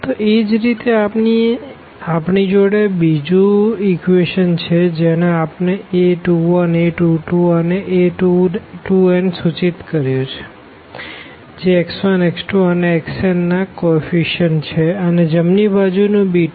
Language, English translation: Gujarati, So, similarly we have the second equation which we have denoted by a 2 1 2 2 and 2 n these are the coefficients of x 1 x 2 x n respectively and the right hand side is denoted by b 1